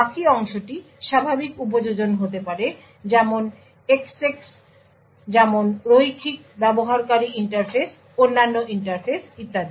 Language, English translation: Bengali, The remaining part could be the regular application like access like the graphical user interfaces other interfaces and so on